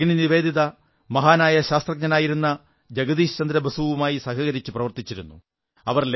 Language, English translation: Malayalam, Bhagini Nivedita ji also helped the great scientist Jagdish Chandra Basu